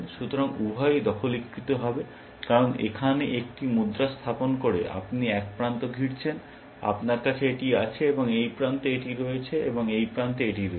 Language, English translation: Bengali, So, both will get captured, because by placing a coin here, you are enclosing one end you have this, and this end you have this, and this end you have this